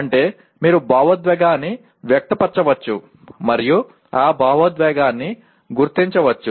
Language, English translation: Telugu, That means you can express emotion and then recognize that emotion